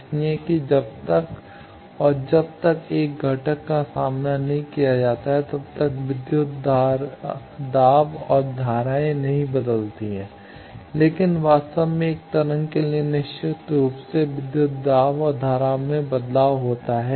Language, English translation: Hindi, So, that unless and until a component is encountered the voltage and current do not change, but actually for a wave definitely the voltage and current change as we move on